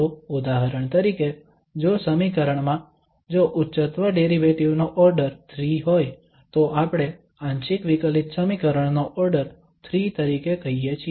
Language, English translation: Gujarati, So for instance, in the equation if the order of the highest derivative is 3 then the order of the partial differential equation we call as 3